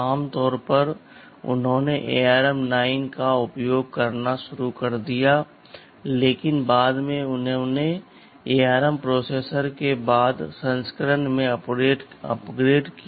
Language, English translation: Hindi, Typically they started to use ARM 9, but subsequently they updated or upgraded them to the later version of ARM processors